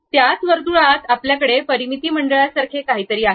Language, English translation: Marathi, In the same circle, there is something like perimeter circle we have